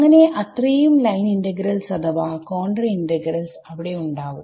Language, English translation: Malayalam, So, those many line integrals or contour integrals are going to be there ok